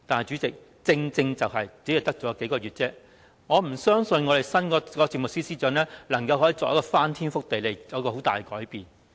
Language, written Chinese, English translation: Cantonese, 主席，正正因為只餘數個月的時間，我不相信新任政務司司長能夠作出翻天覆地的改變。, Chairman precisely because there are only several months left I do not believe the new Chief Secretary for Administration can make any dynastic changes